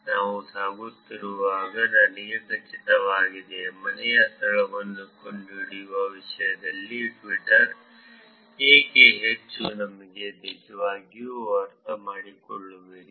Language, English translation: Kannada, I am sure as we move along; you will actually understand why Twitter is actually high in terms of finding out the home location